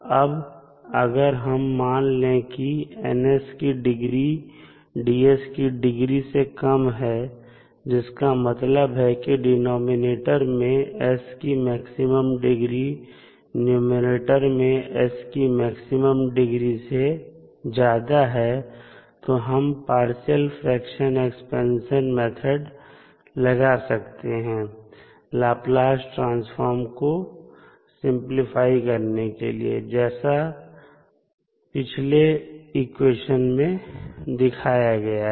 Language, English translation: Hindi, Now, if we assume that the degree of Ns is less than the degree of Ds that means the highest degree of s in denominator is greater than the highest degree of s in numerator we can apply the partial fraction expansion method to decompose the Laplace Transform which was shown in the previous equation